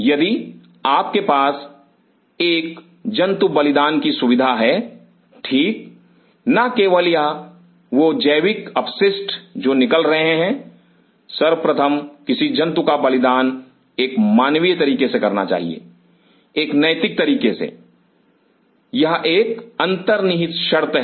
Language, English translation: Hindi, If you have animal sacrificing facility right not only that the biological waste which are coming out, first of all any animal killing has to be done in a humane manner, in an ethical manner, it is one underlying prerequisite